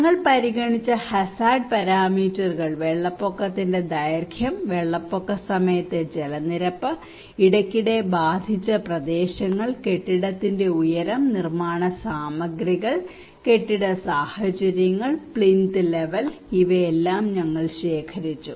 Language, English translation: Malayalam, Hazard parameters we considered, flood duration, water level during the flood, areas frequently affected, building height, building materials, building conditions, plinth level these all we collected